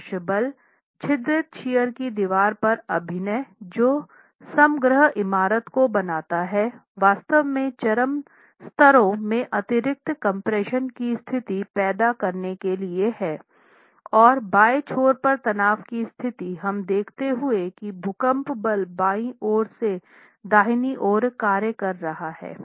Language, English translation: Hindi, The lateral force acting on the perforated shear wall which composes the overall building is actually going to cause a situation of additional compression in the extreme piers and situation of tension in the one on the left end considering that the earthquake force is acting from left to right